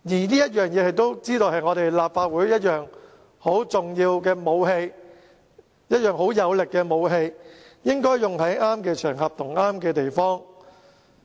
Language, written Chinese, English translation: Cantonese, 相反，《立法會條例》是立法會很重要和有力的武器，只應該在適當的場合和地方使用。, On the contrary we think the Legislative Council Ordinance is an important and powerful weapon of the Legislative Council which should only be deployed at the right time and the right place